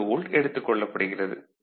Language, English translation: Tamil, 2 volt ok